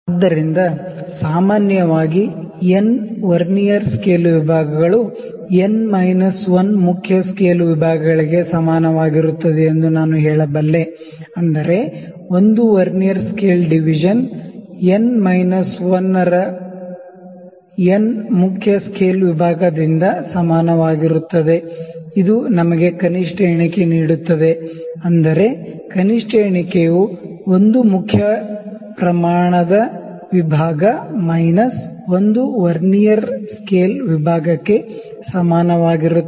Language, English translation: Kannada, So, I can say that in general n Vernier scale divisions is equal to n minus 1 main scale divisions which means 1 Vernier scale division is equal to n minus 1 by n main scale division, this gives us the least count; that means, least count is equal to 1 main scale division minus 1 Vernier scale division